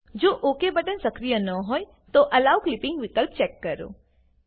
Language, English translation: Gujarati, If the Ok button is not active, check the Allow Clipping option